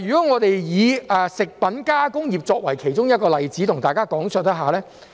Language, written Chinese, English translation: Cantonese, 我且以食品加工業作為其中一個例子向大家講述。, I will use the food processing industry as an example to illustrate my point